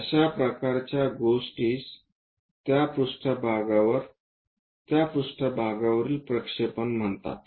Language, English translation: Marathi, This kind of thing is called what projection of this surface on to that plane